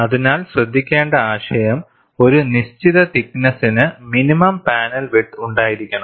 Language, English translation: Malayalam, So, the idea to notice, for a given thickness, there has to be a minimum panel width